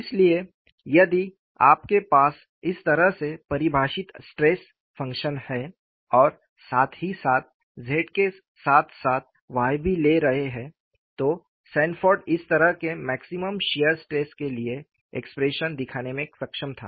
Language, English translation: Hindi, So, if you have the stress functions defined in this fashion, and also simultaneously taking Z as well as Y, Sanford was able to show the expression for maximum shear stress, turns out to be like this